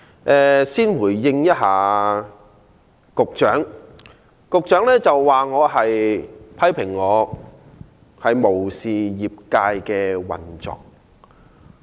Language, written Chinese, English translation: Cantonese, 我先回應局長批評我無視業界的運作。, Let me first respond to the Secretarys criticism that I have disregarded the operation of the trade